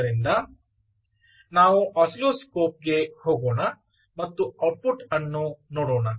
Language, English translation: Kannada, so let's move on to the oscilloscope and see the output